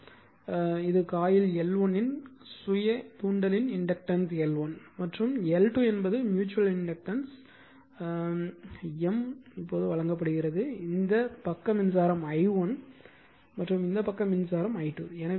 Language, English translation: Tamil, So, dot convention now this one now next one will take this is your L 1 L 2 that inductance of coil self inductance of coil L 1 L 2, and mutual inductance M is given this side current is i1 this side is current is i 2